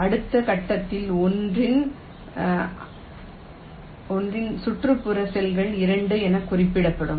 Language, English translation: Tamil, in the next step, the neighboring cells of one will be marked as two